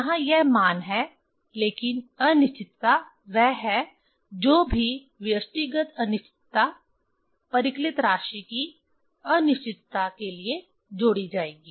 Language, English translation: Hindi, Here this is the value but uncertainty is whatever individual uncertainty that will be added for the uncertainty, uncertainty of the calculated quantity